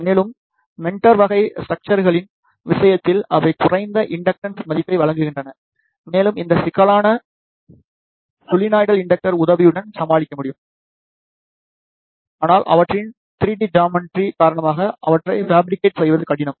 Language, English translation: Tamil, And, in case of meander type of a structures they provide the low inductance value, and these problems can be overcome with the help of solenoidal inductors, but they are difficult to fabricate due to their 3 D geometry